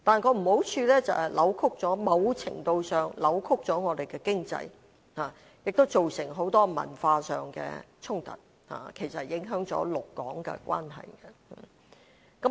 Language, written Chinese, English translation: Cantonese, 可是，缺點就是某程度上扭曲了本港的經濟，亦造成很多文化上的衝突，影響了陸港關係。, Nevertheless the downsides are that the influx of visitors has distorted our economy to a certain extent resulted in many cultural conflicts and affected the Mainland - Hong Kong relationship